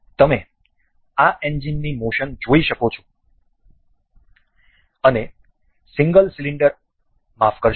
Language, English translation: Gujarati, You can see the motion of this engine, and and single single cylinder sorry